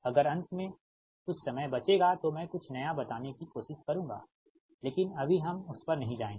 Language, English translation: Hindi, if time permits at the aim, then something new i will try to tell, but right now we will not go through that, right